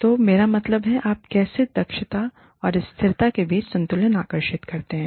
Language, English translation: Hindi, So, i mean, how do you draw, a balance between, efficiency, and sustainability